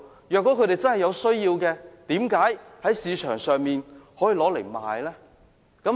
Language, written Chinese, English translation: Cantonese, 如果他們真的有需要，為甚麼將食物券轉售呢？, If there is a genuine need why would they resell the food coupons?